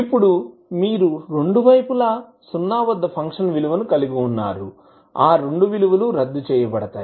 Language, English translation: Telugu, Now you have value of function at zero at both sides, those both will cancel out